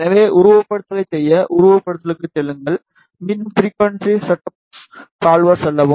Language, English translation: Tamil, So, to do the simulation go to simulation, again go to frequency setup solver